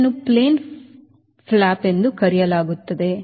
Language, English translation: Kannada, this is called the split flap